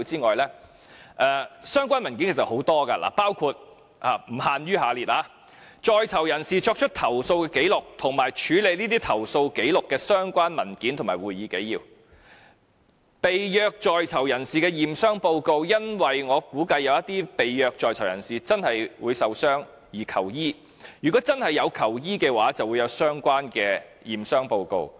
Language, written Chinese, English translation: Cantonese, 而相關的文件其實也有很多，包括：在囚人士作出投訴的紀綠及處理這些投訴紀錄的相關文件和會議紀要，以及被虐在囚人士的驗傷報告，因為我估計有些被虐在囚人士真的會受傷而求醫，如果他們真的有求醫，便會有相關的驗傷報告。, In fact there are many documents which are relevant including but not limited to records of prisoners complaints and documents or minutes showing how the complaints were handled as well as tortured prisoners medical examination reports as I believe that the victims would have sought medical treatment therefore relevant assessment reports should be available if prisoners did really seek medical assistance